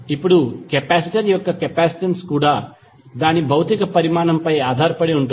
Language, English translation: Telugu, Now, capacitance of a capacitor also depends upon his physical dimension